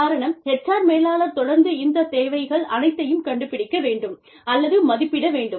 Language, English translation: Tamil, Because, the HR manager has to find out, or has to assess these needs, on an ongoing basis